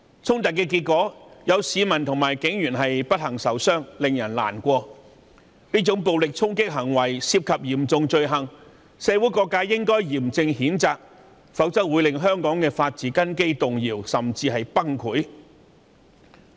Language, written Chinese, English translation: Cantonese, 衝突導致市民及警員不幸受傷，令人難過。這種暴力衝擊行為屬嚴重罪行，社會各界應該嚴正譴責，否則香港的法治根基會被動搖，甚至崩潰。, While it was distressing to see members of the public and police officers get hurt in the confrontation such violent attacks being serious crimes must be condemned solemnly otherwise the foundation of the rule of law will be shattered or even collapsed